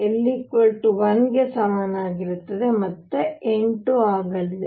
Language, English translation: Kannada, l equals 1 again is going to be 8